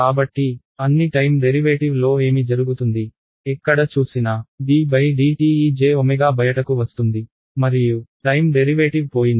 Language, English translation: Telugu, So, what happens to all the time derivatives, wherever you see a d by dt there is a j omega that will come out and the time derivative is gone right